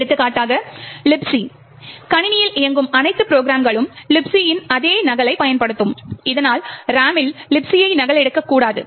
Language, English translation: Tamil, For example, Libc, all programs that are run in the system would use the same copy of Libc, so as not to duplicate Libc in the RAM